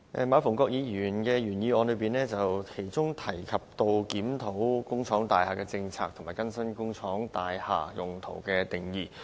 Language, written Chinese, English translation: Cantonese, 馬逢國議員的原議案提到檢討工廠大廈政策和更新工廈用途的定義。, The original motion of Mr MA Fung - kwok mentions reviewing the policy on industrial buildings and updating the definition of use of industrial buildings